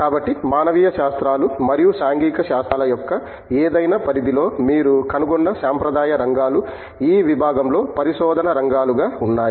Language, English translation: Telugu, So, most of the traditional areas in that you find in any domain of humanities and social sciences are covered, as research area in the department